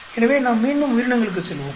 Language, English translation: Tamil, So, let us go back to the organisms